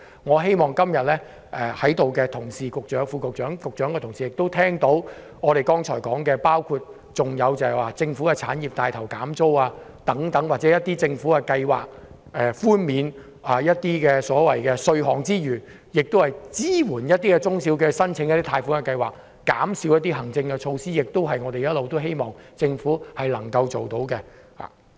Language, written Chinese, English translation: Cantonese, 我希望今天在席的同事、局長、副局長、局長的同事聆聽我們剛才所說的建議，包括帶頭為政府產業削減租金，政府寬免稅項外，亦應推出支援中小企的貸款計劃，以及減少部分行政措施等，這些均是我們一直希望政府能夠推行的。, I hope that Members here and Secretaries Under Secretary and their colleagues here will listen to the proposals we just mentioned . These include taking the lead to lower rents of government premises launching tax reduction and funding schemes to support SMEs reducing some of the administrative measures etc . We hope that the Government can implement these proposals